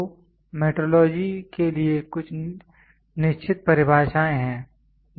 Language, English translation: Hindi, So, there are certain definitions for metrology